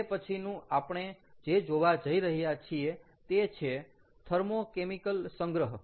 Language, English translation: Gujarati, the next one that we are going to talk about is thermo chemical storage